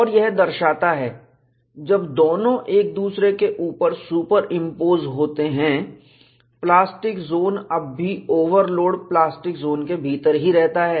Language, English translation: Hindi, And this shows, when both are superimposed one over the other, the plastic zone is still within the overload plastic zone